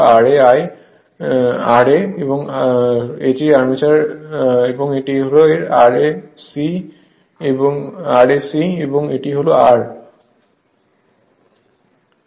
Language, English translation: Bengali, So, armature and this is R s e this is R s e right and this is R